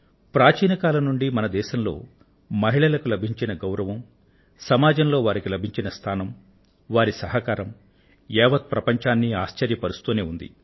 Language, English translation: Telugu, In our country, respect for women, their status in society and their contribution has proved to be awe inspiring to the entire world, since ancient times